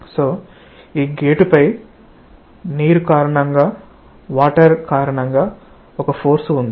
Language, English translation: Telugu, So, on these gate, there is a force due to water